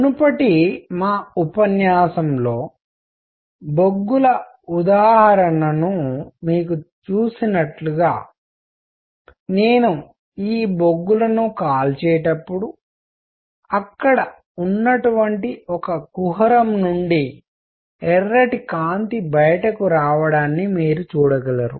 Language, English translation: Telugu, As you saw the in example of coals in the previous our lecture when I burn these coals there is a cavity from which you can see red light coming out